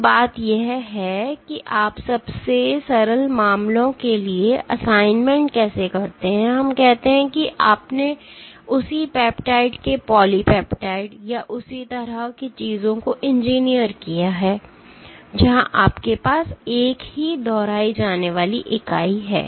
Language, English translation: Hindi, So, this is how you do the assignment for the simplest cases in let us say you have engineered polypeptide of the same peptide or things like that, where you have the same repeating unit